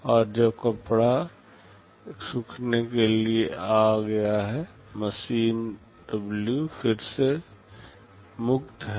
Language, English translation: Hindi, And when cloth 1 has come for drying, machine W is free again